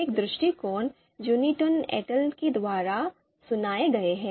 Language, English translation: Hindi, So this approach was suggested by Guitouni et al